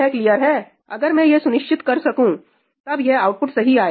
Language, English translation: Hindi, If I can ensure that, then the output will be correct